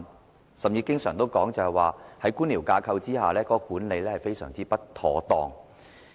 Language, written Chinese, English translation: Cantonese, 當時甚至經常說，在官僚架構之下，有關管理工作非常不妥當。, At that time the relevant management work was even often criticized as being most unsatisfactory under the bureaucratic framework